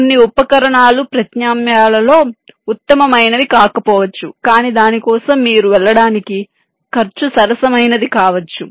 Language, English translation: Telugu, some of the tools, though, may not be the best possible among the alternatives, but the cost may be affordable for you to go for that